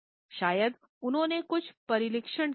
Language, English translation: Hindi, Perhaps because he is has some training